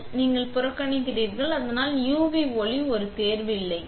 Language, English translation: Tamil, So, then you turn away so the UV light does not a choice